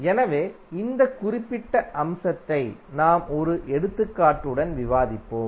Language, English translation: Tamil, So, this particular aspect we will discuss with one example